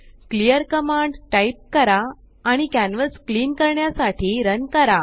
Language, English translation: Marathi, Type clear command and Run to clean the canvas